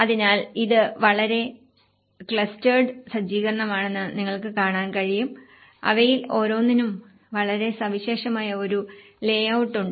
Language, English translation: Malayalam, So, you can see this is a very clustered setup; each of them has a very unique layout